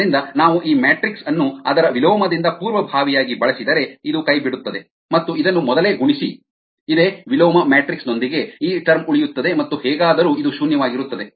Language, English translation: Kannada, so if we pre multiply this matrix, were this inverse, this will drop out, and pre multiple this with this same inverse matrix, this termremain, and anyway this is zero